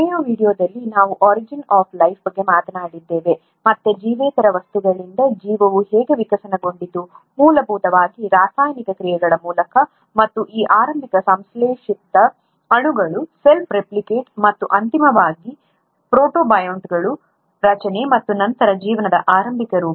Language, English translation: Kannada, In the last video we spoke about origin of life and how life evolved from non living things, essentially through chemical reactions, and then the ability of these early synthesized molecules to self replicate and eventually formation of protobionts and then the early form of life